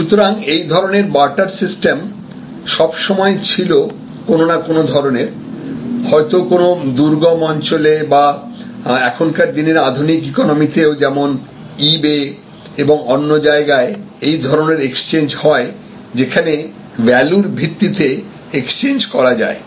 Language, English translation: Bengali, So, similar, barter based exchange of goods and services existed always and in some way or other, in many areas in many remote areas or even in the today in the modern economy on the e bay and others, we have such exchanges, exchange based transactions happening, value exchange based